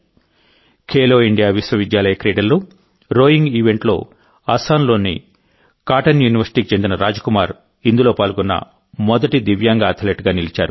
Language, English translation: Telugu, In the rowing event at the Khelo India University Games, Assam's Cotton University's Anyatam Rajkumar became the first Divyang athlete to participate in it